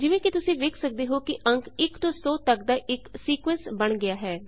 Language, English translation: Punjabi, As you can see a sequence of numbers from 1 to 100 appears